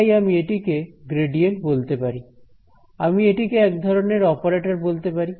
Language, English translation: Bengali, So, I can call this gradient thing, I can call it the Del operator which is like this